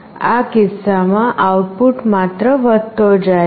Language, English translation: Gujarati, In this case, the output is just getting incremented